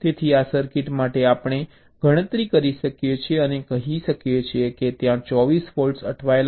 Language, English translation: Gujarati, right, so for this circuit we can count and tell that there are twenty four stuck at faults